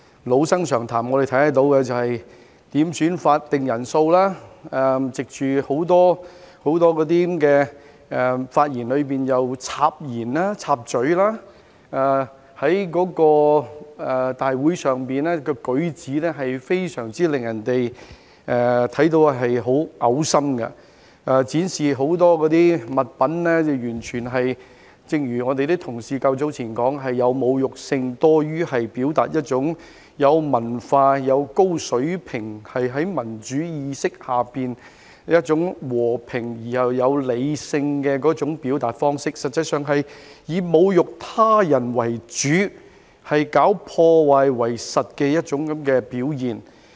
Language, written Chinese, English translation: Cantonese, 老生常談，他們當時要求點算法定人數，在很多發言中插言，在立法會會議上的舉止非常令人噁心，正如同事較早前說，展示很多物品完全是有侮辱性多於有文化、有高水平、在民主意識下一種和平而又理性的表達方式，實際上是以侮辱他人為主，搞破壞為實的一種表現。, As I have said time and again they made quorum calls interrupted many speeches and behaved in a very disgusting manner at Council meetings . As my colleagues have said earlier the display of many objects was more of an insulting nature than a refined sophisticated peaceful and rational way of expression under the principle of democracy and it was actually a way of insulting others and causing damage